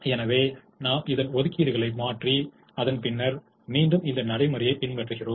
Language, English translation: Tamil, so we change the allocations and then repeat this procedure